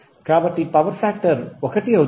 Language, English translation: Telugu, So the power factor would be 1